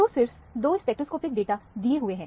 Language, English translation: Hindi, So, only two spectroscopic data are given